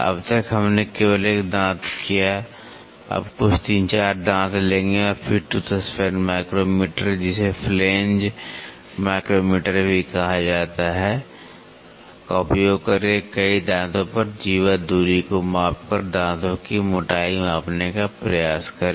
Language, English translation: Hindi, Till now we have did only one tooth, now will take some 3, 4 tooth and then try to measure tooth thickness is measured by measuring the chordal distance over a number of teeth by using the tooth span micrometer also called as flange micrometer